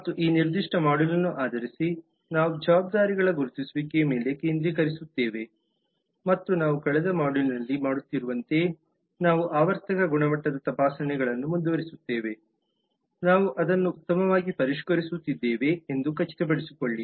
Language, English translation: Kannada, and based on that this particular module we will focus on the identification of responsibilities and as we had been doing in the lat module we will continue to do periodic quality checks to make sure that we are actually refining it for the better